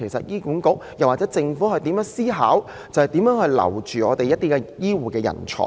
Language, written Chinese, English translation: Cantonese, 醫管局或政府應思考如何挽留醫護人才。, HA or the Government should think about ways to retain healthcare professionals